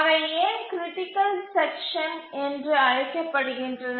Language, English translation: Tamil, So these are called as the critical sections